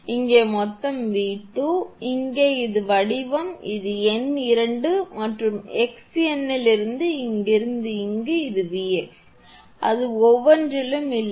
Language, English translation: Tamil, And here total is V 2, form here to here, it is V 2; and from the x number from here to here, it is V x; it is not across each one